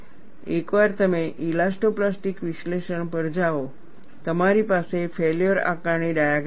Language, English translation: Gujarati, Once you go to elastoplastic analysis, you will have failure assessment diagram